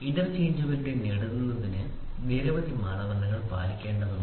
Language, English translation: Malayalam, In order to achieve the interchangeability several standards need to be followed